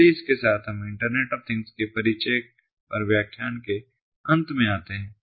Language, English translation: Hindi, so with this we come to an end of the lecture on the introduction of internet of things